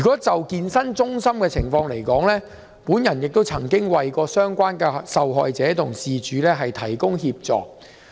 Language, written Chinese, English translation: Cantonese, 就健身中心的情況來說，我曾為相關受害者提供協助。, As far as fitness centres are concerned I have provided assistance to a victim